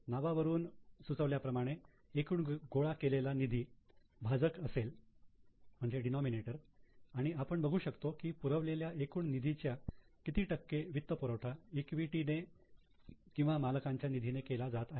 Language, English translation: Marathi, As the name suggests, the total capital employed is the denominator and we see what percentage of capital employed is being funded by the equity or by the owner's fund